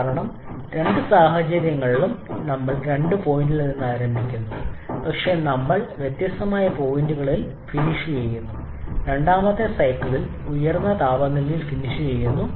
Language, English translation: Malayalam, Because in both cases we are starting in addition at point 2 but we are finishing at different points the second cycle finishing at a higher temperature